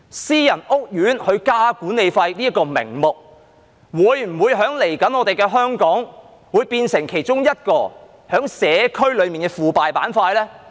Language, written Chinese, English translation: Cantonese, 私人屋苑增加管理費的名目，在未來的香港會否變成社區內其中一個腐敗板塊呢？, Will the reasons for private housing estates to increase the management fees become a ground for corruption in the community of Hong Kong in the future?